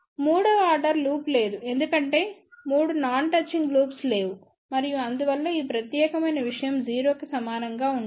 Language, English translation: Telugu, There is no third order loop because there are no 3 non touching loops and hence, this particular thing will be equal to 0